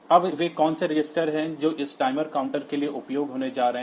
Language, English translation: Hindi, So, these are the 2 registers that are used for this timer 0